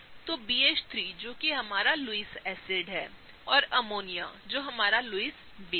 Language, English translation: Hindi, So, BH3 which is our Lewis acid, and Ammonia which is our Lewis base, right